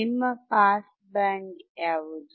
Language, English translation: Kannada, What will be your pass band